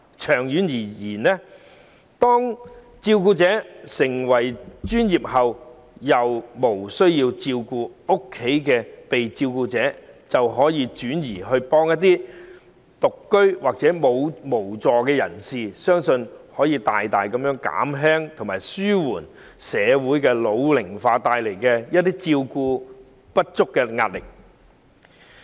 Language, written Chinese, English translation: Cantonese, 長遠而言，當照顧者變得專業，便可在日後無須照顧家中被照顧者的日子，幫助一些獨居或無助人士，相信這將有助大大紓緩社會老齡化帶來照顧不足的壓力。, In the long run when the carers have become professional carers they will be able to when they do not need to take care of their needy family members on certain days help take care of those who live alone or are lacking in self - care abilities in future . This will greatly help relieve the burden arising from inadequate care in an ageing society